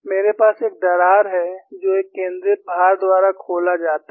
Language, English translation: Hindi, I have a crack, which is opened by a concentrated load